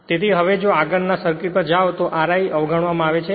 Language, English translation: Gujarati, So, now if you go to the next circuit here R i is neglected